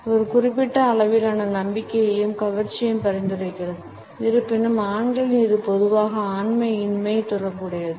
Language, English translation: Tamil, It also suggest a certain level of confidence and attractiveness; however, in men it is normally associated with something effeminate